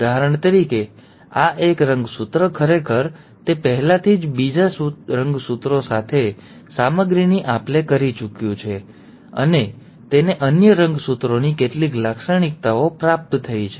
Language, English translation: Gujarati, So for example, this one chromosome is actually, it has already exchanged material with the other chromosome, and it has received some features of the other chromosome